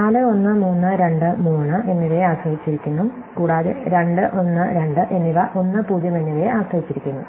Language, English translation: Malayalam, In turn 4 depends on 3 and 2, and 3 depends on 2 and 1, and 2 depends on 1 and 0